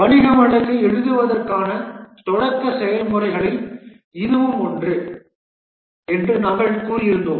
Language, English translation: Tamil, We had said that this is one of the initiating processes to write the business case